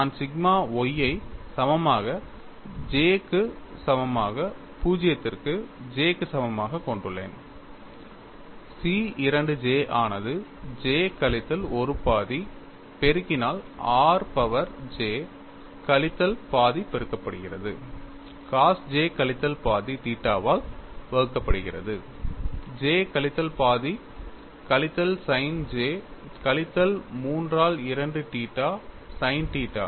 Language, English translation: Tamil, I have sigma y equal to summation over j equal to 0 to J C 2 j multiplied by j minus 1 half multiplied by r power j minus half multiplied by cos j minus half theta divided by j minus half minus sin j minus 3 by 2 theta sin theta; the second term is summation over j equal to 0 to J C 2 j plus 1 j r power j sin theta sin j minus 1 theta